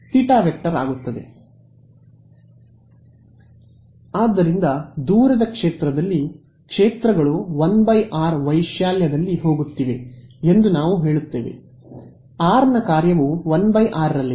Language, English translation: Kannada, So, that is why we say that in the far field, the fields are going 1 by r right in amplitude at least has a function of r is going is 1 by r ok